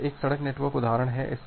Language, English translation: Hindi, So, this is an example road network